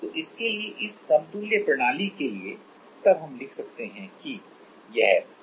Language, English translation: Hindi, So, this for so for this equivalent system, then we can write that, this is = Kequ * x